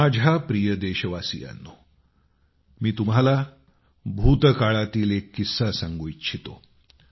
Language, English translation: Marathi, My dear countrymen, I want to transport you to a period from our past